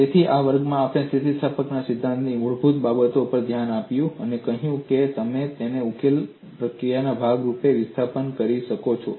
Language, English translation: Gujarati, So, in this class, we have looked at basics of theory of elasticity; I have said that you determine displacement as part of the solution procedure